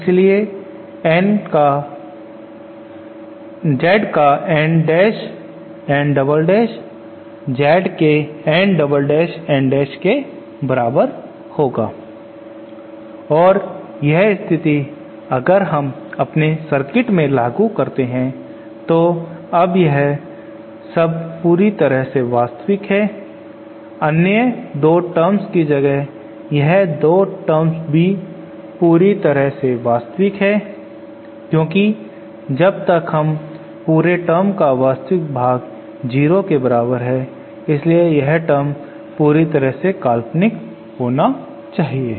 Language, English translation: Hindi, Hence Z of N dash N double dash should be equal to Z of N double dash N dash and this condition if we apply to our circuit translates toÉ Now this term is purely real just like the other 2 terms these 2 terms are purely real since the real part of this whole term is equal to 0, hence this term must be purely imaginary